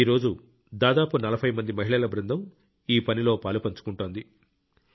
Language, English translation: Telugu, Today a team of about forty women is involved in this work